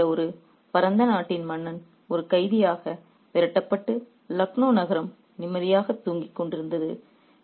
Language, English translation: Tamil, The king of a vast country like Aoud was being driven away as a prisoner and the city of Lucknow was sleeping peacefully